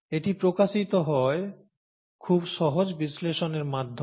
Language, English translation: Bengali, It blends itself to very easy analysis